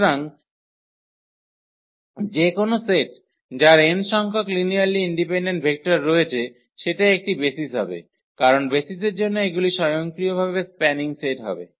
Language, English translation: Bengali, So, any set which has n linearly independent vectors that will be a basis because for the for the basis these will automatically will be the spanning set